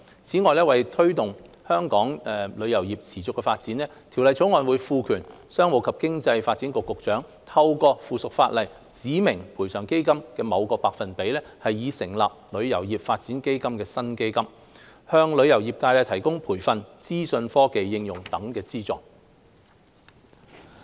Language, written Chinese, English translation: Cantonese, 此外，為推動香港旅遊業持續發展，《條例草案》會賦權商務及經濟發展局局長，透過附屬法例指明賠償基金的某個百分比，以成立名為"旅遊業發展基金"的新基金，向旅遊業界提供培訓、資訊科技應用等方面的資助。, In addition to facilitate the continuous development of Hong Kongs travel industry the Bill will empower the Secretary for Commerce and Economic Development to prescribe by subsidiary legislation a certain percentage of the Compensation Fund to be set aside for establishing a new fund called the Travel Industry Development Fund so as to provide the travel trade with financial support in areas such as training and information technology application